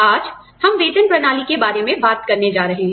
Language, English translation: Hindi, Today, we are going to talk about, the pay system